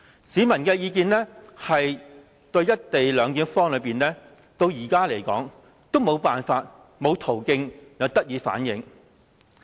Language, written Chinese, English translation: Cantonese, 市民對"一地兩檢"方案的意見，至今仍然沒有途徑可以反映。, So far the public have not had any channels to express their views on the co - location arrangement